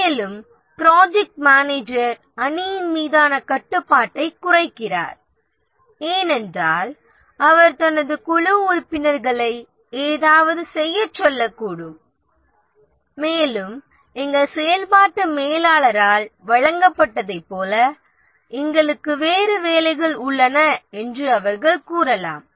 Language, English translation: Tamil, And also the project manager is control over the team decreases because he might ask his team members to do something and they might say that see we have other work to do as given by our functional manager